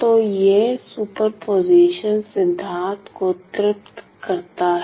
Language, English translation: Hindi, So, satisfies superposition principle